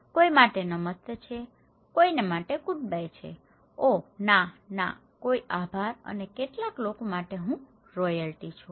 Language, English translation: Gujarati, For someone is hello, for someone is goodbye, oh no, no, no thank you and for some people, I am royalty